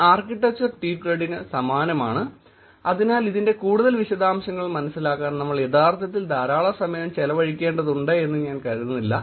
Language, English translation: Malayalam, Same architecture, very similar to tweetcred so I do not think we should actually spend a lot of time in understanding more details of this